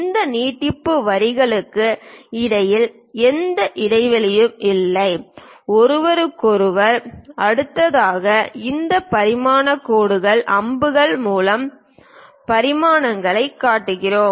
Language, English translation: Tamil, There is no gap between these extension lines, next to each other we are showing dimensions, through these dimension lines arrows